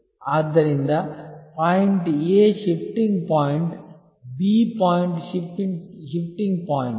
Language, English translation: Kannada, So, the point A is a shifting point, the point B is a shifting point